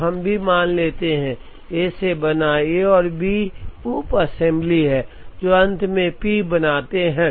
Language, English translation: Hindi, So, let us also assume that, A is made up of, A and B are sub assemblies, which finally make P